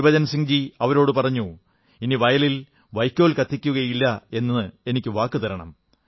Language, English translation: Malayalam, Gurbachan Singh ji asked him to promise that they will not burn parali or stubble in their fields